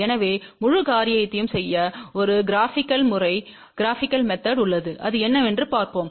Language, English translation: Tamil, So, there is a graphical way of doing the whole thing and let us see what is that